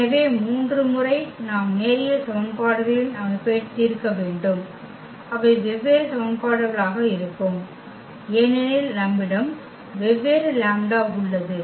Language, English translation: Tamil, So, for 3 times we have to solve the system of linear equations and they will be different equations because we have the different lambda